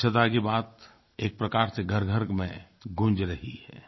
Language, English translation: Hindi, The concept of cleanliness is being echoed in every household